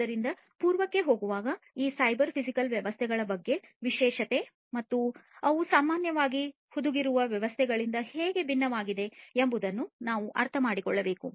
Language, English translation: Kannada, So, going back so, we need to understand that what is so, special about these cyber physical systems and how they differ from the embedded systems in general, all right